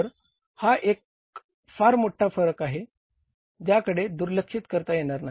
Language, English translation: Marathi, So, this is a very big variance which cannot be ignored